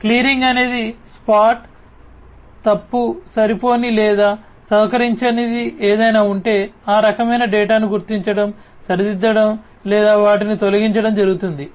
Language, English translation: Telugu, Clearing is spot, if there is something that is spotted to be incorrect, insufficient or uncooperative then that kind of data will have to be spotted, corrected or they have to be removed